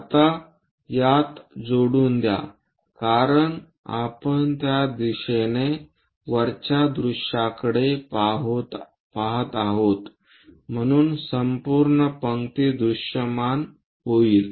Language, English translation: Marathi, Now join these because we are looking from top view in that direction so entire row will be visible